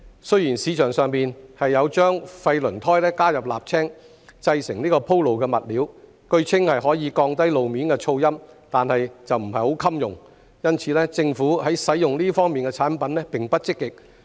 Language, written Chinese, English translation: Cantonese, 雖然市場上有將廢輪胎加入瀝青製成鋪路物料，據稱可降低路面噪音，但不太耐用，因此，政府在使用這些產品方面並不積極。, Although there is a surfacing material made of waste tyres and asphalt on the market which can allegedly reduce road noise it is not quite durable . Therefore the Government is not keen to use these products